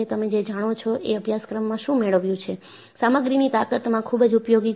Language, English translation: Gujarati, You know knowledge, what you have gained in a course, in strength of materials is very useful